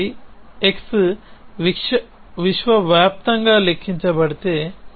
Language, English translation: Telugu, So, if x is universally quantified